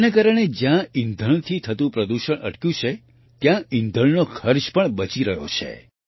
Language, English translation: Gujarati, Due to this, whereas the pollution caused by fuel has stopped, the cost of fuel is also saved